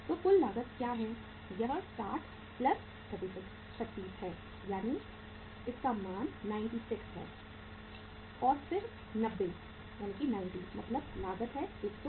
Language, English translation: Hindi, So what is the total cost it works out as this works out as 60 plus 36, 96 then 90 uh means 108 is the cost